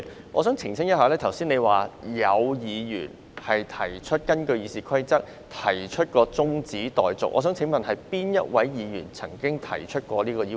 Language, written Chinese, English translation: Cantonese, 我想澄清一下，你剛才說，有議員根據《議事規則》要求動議中止待續議案，我想請問哪位議員曾經提出這項要求？, I wish to clarify one point . Just now you said that some Members requested to move an adjournment motion under the Rules of Procedure RoP . May I ask which Members have made such a request?